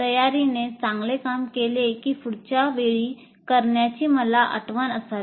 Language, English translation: Marathi, Preparation worked well that I should remember it to do next time